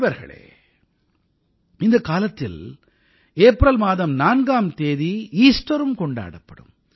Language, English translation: Tamil, Friends, during this time on April 4, the country will also celebrate Easter